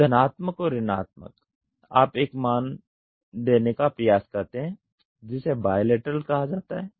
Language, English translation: Hindi, So, plus and minus you try to give a value that is called as bilateral